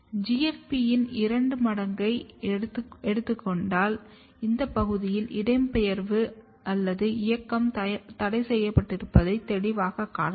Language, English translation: Tamil, And if we took 2x of the GFP, you can clearly see that migration or movement is restricted in this region